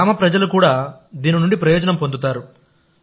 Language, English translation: Telugu, And the people of the village also benefit from it